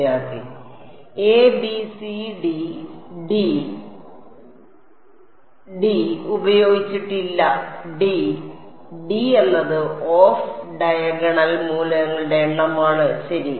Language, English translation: Malayalam, a b c d d; d has not been used d, d is the number of off diagonal elements ok